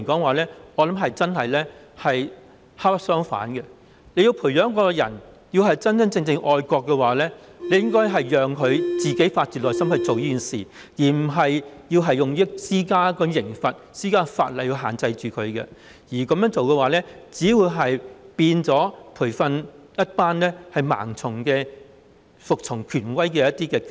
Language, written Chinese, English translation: Cantonese, 我認為這種做法是本末倒置，要培養一個真正愛國的人，應該讓他發自內心去做，而不是透過立法和施加刑罰來限制他，這樣做只會培訓出一群盲目服從權威的機器。, I consider that this approach is putting the cart before the horse . To nurture genuine patriots people should be allowed to follow their hearts rather than having their behaviours restricted by way of legislation and penalty as this will merely produce a batch of machines which blindly obey authority